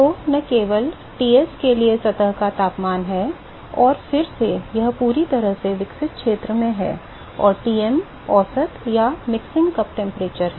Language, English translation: Hindi, So, not just that for Ts is the surface temperature, and again this is in the fully developed region and Tm is the average or the mixing cup temperature